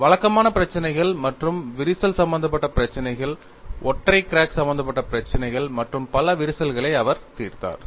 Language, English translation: Tamil, He solved conventional problems as well as problems involving crack, problems involving single crack as well as multiple cracks